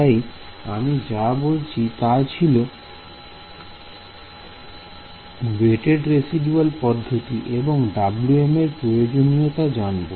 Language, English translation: Bengali, So, what I spoke about, was the weighted residual method I will briefly mention what are the requirements on Wm ok